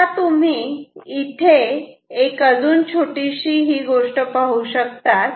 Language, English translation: Marathi, Now, you observe one small thing which is this